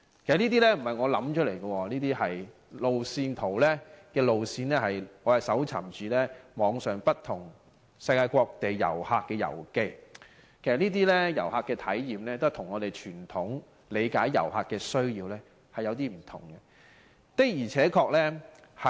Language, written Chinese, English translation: Cantonese, 其實這些不是我想出來的，這些路線是我在網上從世界各地旅客的遊記中搜尋到的，這些旅客的體驗跟我們傳統理解旅客的需要確有點不同。, How exciting this is! . In fact this itinerary is not designed by me I obtain the information from the travel notes of travellers from around the world whose experiences are different from the traditional visitors . In the past few years there have been changes in the trend of development of tourism